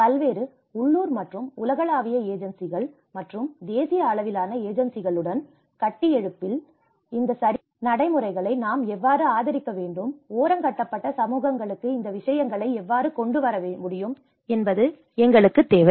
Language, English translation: Tamil, This is where we need the build partnerships with various local and global agencies and national level agencies, how we have to advocate these right practices, how we can bring these things to the marginalized communities